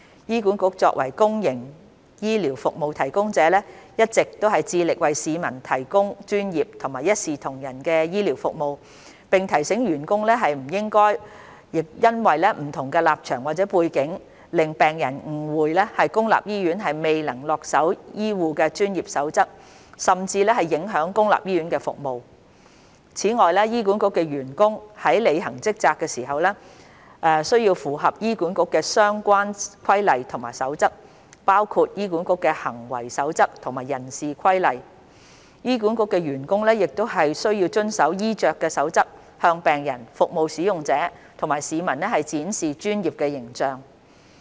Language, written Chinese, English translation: Cantonese, 醫管局作為公營醫療服務提供者，一直致力為市民提供專業及一視同仁的醫療服務，並提醒員工不應因為不同立場或背景，令病人誤會公立醫院未能恪守醫護的專業守則，甚至影響公立醫院服務。此外，醫管局的員工在履行職責時，需符合醫管局的相關規例和守則。醫管局員工亦需遵守衣着守則，向病人、服務使用者及市民展示專業的形象。, As a public healthcare service provider HA has been striving to provide professional and equitable healthcare services for the public and has reminded its staff to avoid leading to misperception from patients that public hospitals could not adhere to the code of conduct for healthcare professionals or even affecting public hospital services due to difference in stances or background